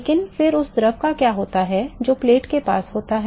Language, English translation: Hindi, But then what happens to the fluid which is close to the plate